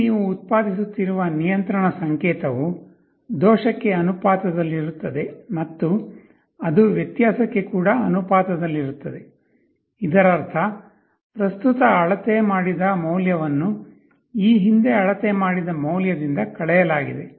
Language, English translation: Kannada, Here the control signal that you are generating will be proportional to the error plus it will also be the proportional to the difference; that means, you are measured value previous minus measured value present, this is your derivative